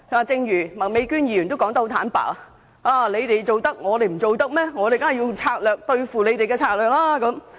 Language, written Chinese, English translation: Cantonese, 正如麥美娟議員說得坦白，既然我們可以這樣做，為何他們不可以？, As Ms Alice MAK has frankly pointed out why not follow suit if we can filibuster?